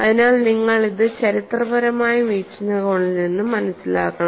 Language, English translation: Malayalam, So, you must take this more from a historical perspective